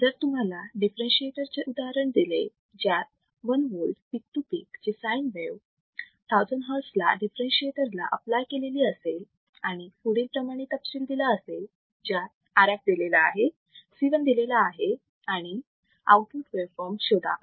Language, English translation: Marathi, So, if you are given an example of a differentiator, if you are given an example of a differentiator such that a sin wave 1 volt peak to peak at 1000 hertz is applied to a differentiator with the following specification, RF is given, C 1 is given, find the output waveform, find the output waveform